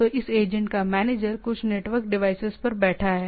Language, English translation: Hindi, So, the manager this agent is sitting in some network devices